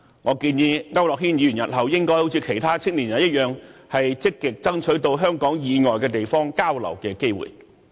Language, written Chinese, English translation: Cantonese, 我建議區諾軒議員日後應好像其他青年人般，積極爭取到香港以外地方交流的機會。, I suggest Mr AU Nok - hin follow the examples of other young people and seek chances for exchange outside of Hong Kong proactively in future